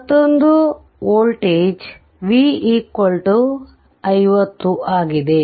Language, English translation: Kannada, Another one voltage V is here also and this 50